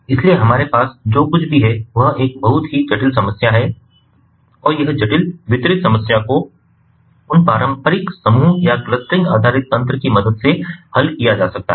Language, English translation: Hindi, so what we have is: we have a very complex problem and this complex distributed problem can be solved with the help of the traditional, you know, grouping or clustering based mechanisms